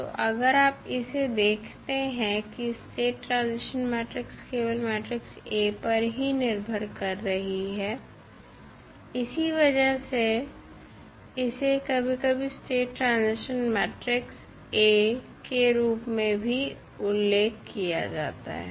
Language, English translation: Hindi, So, if you see this the state transition matrix is depending upon the matrix A that is why sometimes it is referred to as the state transition matrix of A